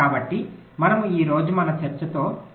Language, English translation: Telugu, ok, so we continue with a discussion